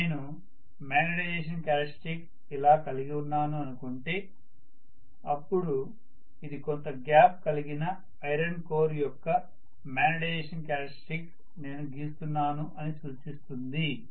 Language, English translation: Telugu, So let us say I am having a magnetization characteristic like this, this clearly indicates that I am drawing the magnetization characteristics for an iron core along with maybe some air gap